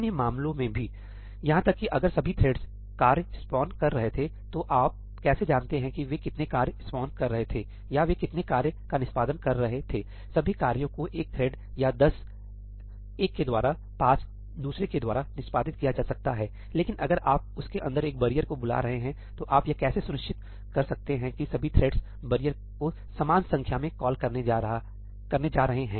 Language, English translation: Hindi, There are other cases also; even if all the threads were spawning tasks, how do you know how many tasks they were spawning or how many tasks they were executing; all the tasks may be executed by one thread or 10 by 1, 5 by another; but if you are calling a barrier inside that, how can you be sure that all the threads are going to call barrier equal number of times